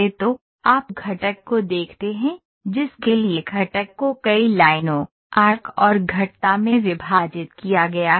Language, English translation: Hindi, So, you look at the component, the component is this for which the component is divided is divided into several lines, arcs and arcs curves